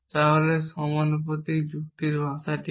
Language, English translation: Bengali, So, what is the language of proportional logic